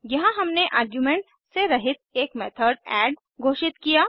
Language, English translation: Hindi, Here we have declared a method called add without any arguments